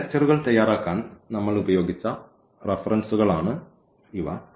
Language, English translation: Malayalam, So, these are the references we have used to prepare these lectures and